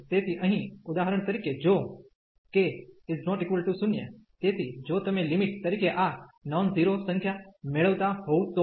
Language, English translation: Gujarati, So, here for example if k is not equal to 0, so if you are getting this non zero number as the limit